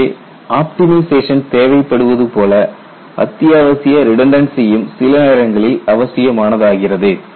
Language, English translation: Tamil, So, there is optimization necessary, but also essential redundancy is required